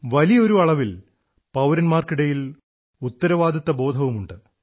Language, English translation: Malayalam, Broadly speaking in a way, there is a feeling of responsibility amongst citizens